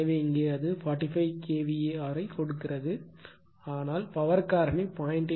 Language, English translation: Tamil, So, here it is give it 45 kVAr, but power factor is when 0